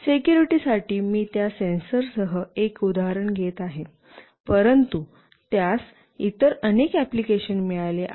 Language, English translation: Marathi, For security I will be taking one example with that sensor, but it has got many other applications